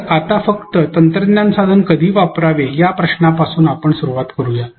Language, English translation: Marathi, So, let us start with the question when to use a technology tool at all